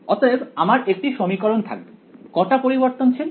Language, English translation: Bengali, So, I will have 1 equation how many variables